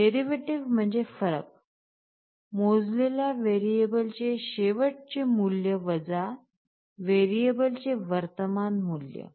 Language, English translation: Marathi, Derivative means the difference; last value of the measured variable minus the present value of the measured variable